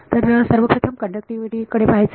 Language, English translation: Marathi, So, deal with conductivity first of all